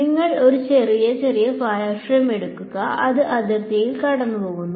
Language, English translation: Malayalam, You take a small little wireframe that straddles the boundary